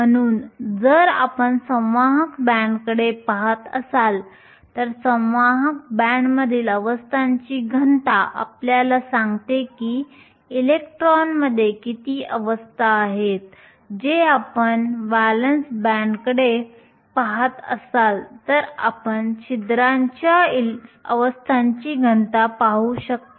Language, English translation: Marathi, So, if you looking at the conduction band the density of states in the conduction band tells you how many states are there for electrons to occupy if you are looking at the valence band then you look at the density of states of holes